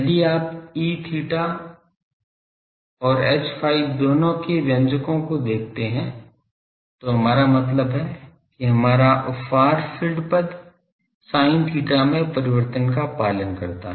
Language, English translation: Hindi, If you look at the expressions both E theta and H phi that means, our far field terms they adheres their variation is sin theta